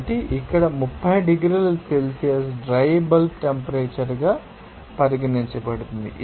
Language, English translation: Telugu, So, here 30 degrees Celsius to be considered as, you know, dry bulb temperature